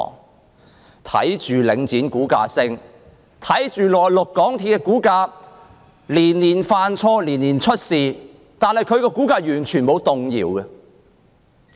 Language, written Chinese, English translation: Cantonese, 我們看到領展的股價上升，又看到港鐵公司雖然連年犯錯，連年出事，但其股價卻完全沒有動搖。, We see a rise in the share price of Link REIT and that the share price of MTRCL though plagued by blunders and troubles year after year remains totally immune